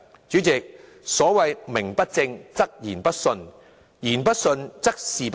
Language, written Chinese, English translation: Cantonese, 主席，所謂"名不正，則言不順，言不順，則事不成"。, President there is a saying Should the cause be invalid justifications will not convince; should justifications not convince success will not come